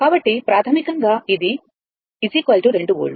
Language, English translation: Telugu, So, basically, it is is equal to 2 volt